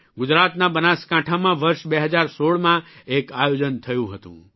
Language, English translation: Gujarati, An event was organized in the year 2016 in Banaskantha, Gujarat